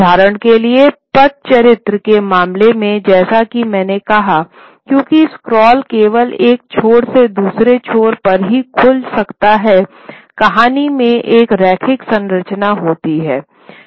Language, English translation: Hindi, In the case of the Patachitra, for example, as I said, because the scroll can only open from one end to the other end, the story has to have a linear structure